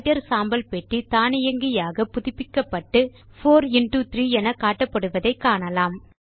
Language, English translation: Tamil, Notice that the Writer gray box has refreshed automatically and it displays 4 into 3